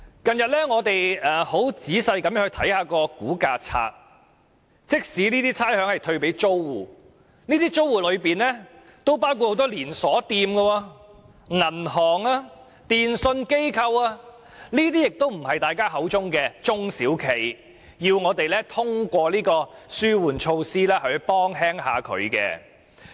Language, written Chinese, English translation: Cantonese, 近日我很仔細地查閱差餉估價冊，發現即使這些差餉會退給租戶，但這些租戶中，有很多是連鎖店、銀行、電訊商等，都不是大家口中的中小企，要通過這類紓援措施減輕負擔。, Recently I have read the Valuation Lists carefully and found that even if the exempted rates are rebated to tenants many of the tenants are chain stores banks and telecommunication service providers . These tenants are not SMEs that Members are talking about and they do not need such relief measures to ease their burden